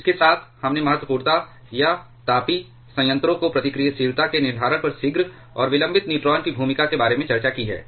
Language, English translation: Hindi, With this we have discussed about the role of prompt and delayed neutrons on determining the criticality or the reactivity of a thermal reactor